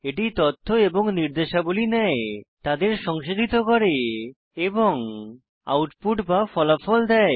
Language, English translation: Bengali, It takes data and instructions, processes them and gives the output or results